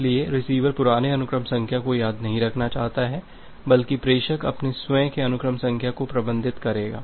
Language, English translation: Hindi, So, the receiver does not want to remember the old sequence number rather the sender will manage its own sequence number